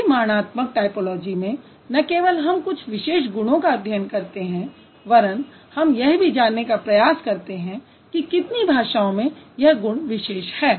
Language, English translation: Hindi, In quantitative typology, it's going to be not only we are trying to understand certain traits, we are also trying to understand how many of the languages have a particular trait